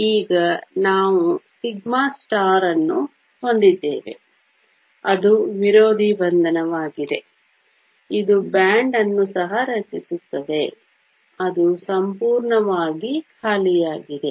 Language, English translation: Kannada, Now we also have a sigma star which is the anti bonding, this will also form a band, which is completely empty